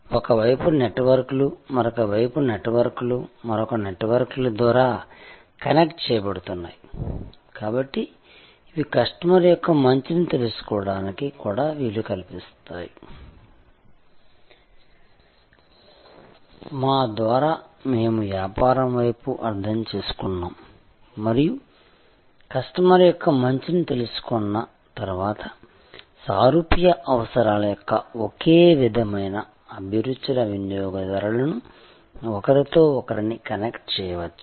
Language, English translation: Telugu, Networks on one side, networks on the other side being connected through another set of networks, so these also allows us to know the customer's better, by us we mean the business side and once we know the customer's better, we can connect them to other customers of similar tastes of similar requirements